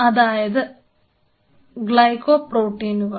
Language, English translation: Malayalam, So, these are Glycol Protein